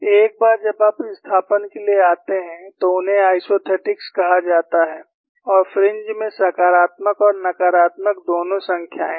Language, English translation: Hindi, Once we come to displacements, these are called isothetics and the fringes will have both positive and negative numbers